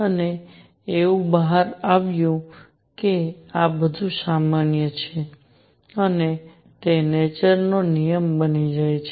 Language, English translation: Gujarati, And it turns out that this is more general and it becomes a law of nature